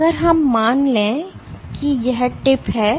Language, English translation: Hindi, So, if let us assume that your tip